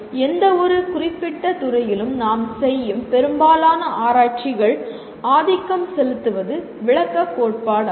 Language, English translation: Tamil, Most of the research that we do in any particular discipline is dominantly descriptive theory